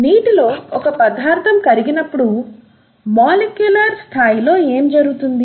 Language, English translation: Telugu, What happens at a molecular level when a substance dissolves in water, okay